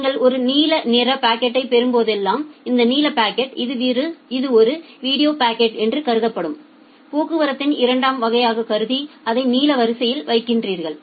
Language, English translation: Tamil, Whenever you are getting a blue packet say this blue packet is assume it is a video packet the second class of traffic you are putting it in the blue queue